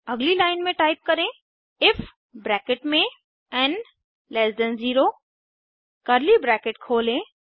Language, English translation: Hindi, Next line Type if (n 0) open curly bracket